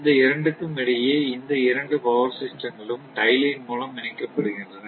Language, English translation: Tamil, And in between that, these two power system are interconnected by tie lines